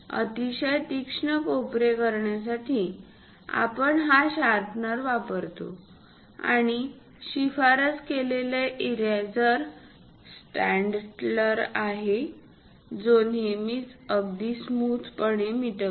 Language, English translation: Marathi, To have very sharp corners, we use this sharpener, and the recommended eraser is Staedtler, which always have this very smooth kind of erase